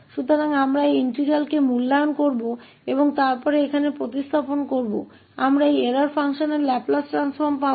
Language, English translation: Hindi, So, we will evaluate this integral and then substitute here we will get the Laplace transform of this error function